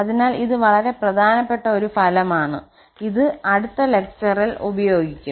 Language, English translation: Malayalam, So, this is a very important result which will be used in the next lecture